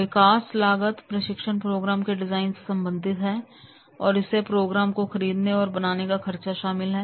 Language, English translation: Hindi, So, development costs relate to the design of the training program and that is including cost to buy or create the program